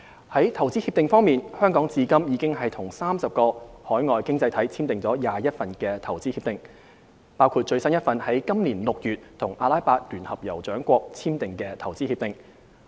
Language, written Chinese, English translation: Cantonese, 在投資協定方面，香港至今已與30個海外經濟體簽訂了21份投資協定，包括最新一份於今年6月與阿拉伯聯合酋長國簽訂的投資協定。, Apart from FTAs Hong Kong has also signed 21 IPPAs with 30 overseas economies so far including the latest one with the United Arab Emirates signed in this June